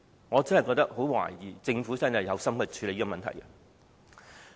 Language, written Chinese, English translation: Cantonese, 我真的很懷疑政府是否有心處理問題。, I really doubt if the Government has the intention to deal with it